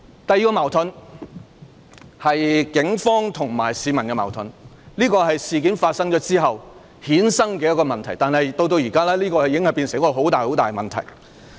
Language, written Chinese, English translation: Cantonese, 第二個矛盾是警方與市民之間的矛盾，這是在事件發生後衍生的問題，但至今已成為一個重大問題。, The second conflict is the conflict between the Police and the public . This is a problem arising from the aftermath of the incident but has become a major problem now